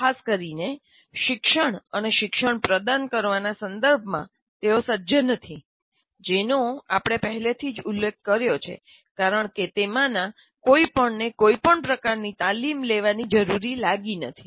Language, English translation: Gujarati, And they're ill equipped, particularly with respect to teaching and learning, which we have already mentioned because none of them need to undergo any kind of train